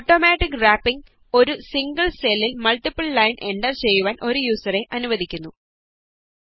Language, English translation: Malayalam, Automatic Wrapping allows a user to enter multiple lines of text into a single cell